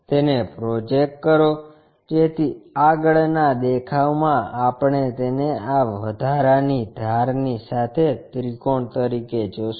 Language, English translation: Gujarati, Project it, so that in the front view we will see it like a triangle along with this additional edge